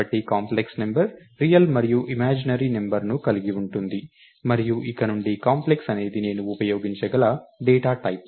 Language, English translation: Telugu, So, a complex number is going to have a real real member, and an imaginary number, and from now on Complex is a data type that I can use